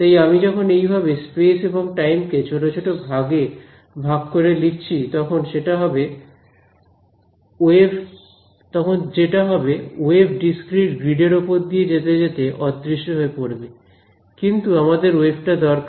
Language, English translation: Bengali, So, when I do this chopping up off space and time into discrete things what happens is that, as a wave travels on a discrete grid it begins to disperse; you want the wave